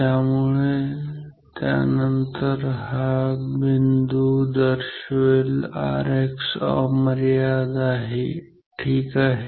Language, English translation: Marathi, So, then this point will indicate R X is equal to infinite ok